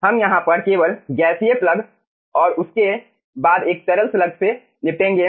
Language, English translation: Hindi, we are only dealing with the gaseous plug over here and followed by a liquid slug